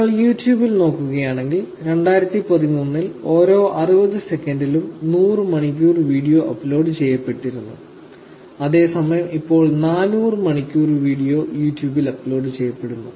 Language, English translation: Malayalam, If you look at YouTube, they seem to have had 100 videos uploaded, 100 hours of video uploaded in every 60 seconds in 2013, whereas it is now 400 hours of video are getting uploaded on YouTube